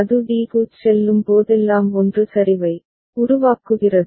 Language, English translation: Tamil, And whenever it goes to d it generates a 1 ok